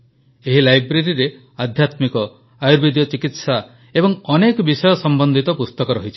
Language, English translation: Odia, In this library, books related to spirituality, ayurvedic treatment and many other subjects also are included